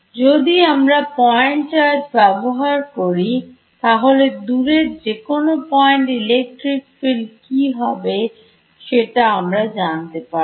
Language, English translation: Bengali, If I take if I take point charge what is the electric field far at any distance away from it Coulomb's law tells me